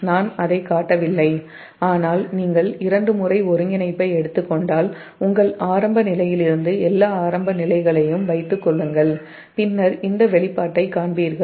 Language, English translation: Tamil, i am not showing it, but you just take twice integration, put all the initial condition from your intuition and then you will find this expression